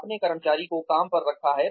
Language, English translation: Hindi, You hired the employee